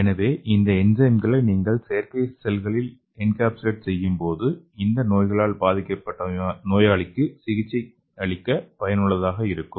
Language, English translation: Tamil, So when you encapsulate these enzymes into artificial cells that could be useful for treating the patients with lack of the particular enzyme